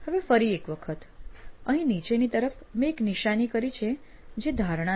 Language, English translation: Gujarati, Now again, this as I have marked at the bottom here is an assumption